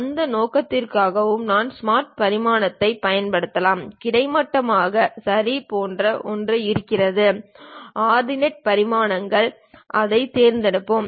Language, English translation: Tamil, For that purpose also, we can use smart dimension there is something like horizontally ok Ordinate Dimensions let us pick that